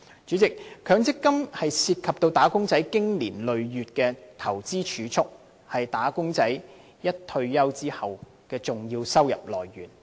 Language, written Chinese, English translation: Cantonese, 主席，強積金涉及"打工仔"經年累月的投資儲蓄，亦是他們退休後的重要收入來源。, President the MPF schemes involve investment savings made by wage earners for months and years . It is also their major source of income upon retirement